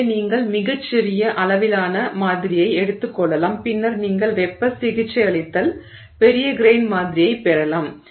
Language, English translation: Tamil, So, you can take a very small grained sample and then you can heat rate it, get larger grain the sample